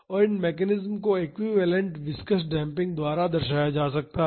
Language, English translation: Hindi, And, these mechanisms can be represented by an equivalent viscous damping